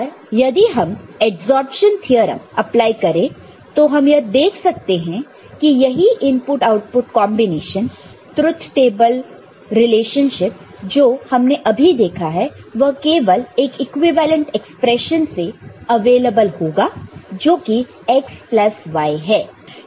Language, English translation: Hindi, But if we apply adsorption theorem, we know the same input output combination the truth table, the relationship that we have seen will be available just by equivalent expression which is x plus y – right; that is from the basic theorems